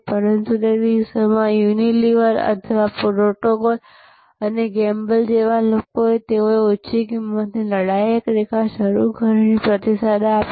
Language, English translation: Gujarati, But, in those days, people like a Unilever or Proctor and Gamble, they responded with by launching a low price fighter line